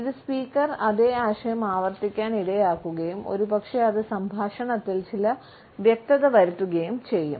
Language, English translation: Malayalam, This would cause the speaker to repeat the same idea and perhaps it would bring certain clarity in the dialogue